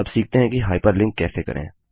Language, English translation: Hindi, Now lets learn how to hyperlink